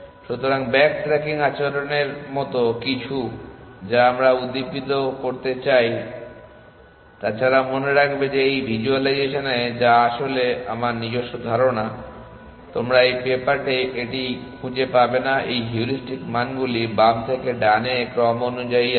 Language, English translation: Bengali, So, something like back trucking behaviour we want to stimulate except that keep in mind that in this visualization which is actually my own idea, you would not find it in that paper this heuristic values are ordered from left to right